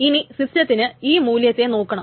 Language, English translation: Malayalam, Now the system has to parse the value